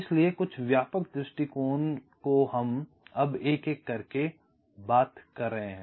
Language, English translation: Hindi, so, sub broad approaches we are talking about now one by one